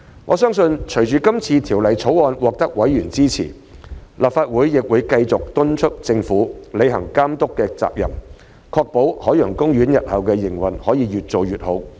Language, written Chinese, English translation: Cantonese, 我相信，隨着今次《條例草案》獲得委員支持，立法會亦會繼續敦促政府履行監管責任，確保海洋公園日後的營運可以越做越好。, I believe that with members support for the Bill the Legislative Council will also continue to urge the Government to perform its regulatory duty to ensure improvement in OPs operation in the future